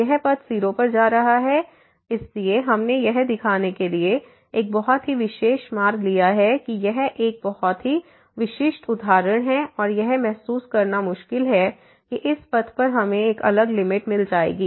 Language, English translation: Hindi, This path is going to 0 so, we have taken a very special path to show this is a very typical example and difficult to realize that a long this path we will get a different limit